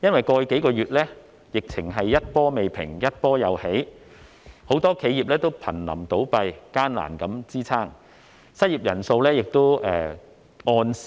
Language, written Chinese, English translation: Cantonese, 過去數月，疫情一波未平，一波又起，很多企業都瀕臨倒閉，艱難支撐，失業人數逐月攀升。, Over the past several months due to wave after wave of virus infections many businesses are already on the verge of closing down and scraping along the bottom . The number of unemployed people has been increasing month after month